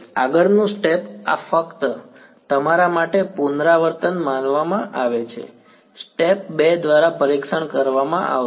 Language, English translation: Gujarati, next step this just this supposed to be a revision for you step 2 would be testing